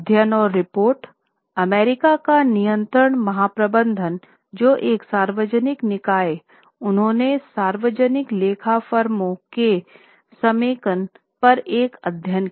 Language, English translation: Hindi, Studies and reports, the Comptroller General of US, which is a public body, they conducted a study on consolidation of public accounting firms